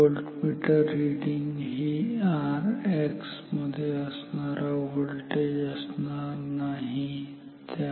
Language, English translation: Marathi, Voltmeter reading is not the voltage across R X ok